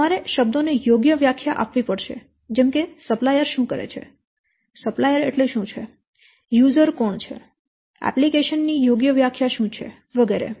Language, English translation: Gujarati, So, you must give proper definition to the terms such as what is, who is a supplier, a supplier, what is mean by a supplier, who is an user, what is an application proper definition should be there in the tender